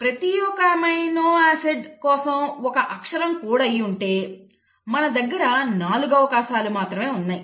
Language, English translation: Telugu, So if you have each alphabet coding for one amino acid you have only 4 possibilities